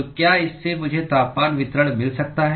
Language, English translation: Hindi, So, with this can I get the temperature distribution